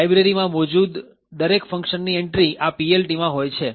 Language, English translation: Gujarati, Each function present in the library has an entry in the PLT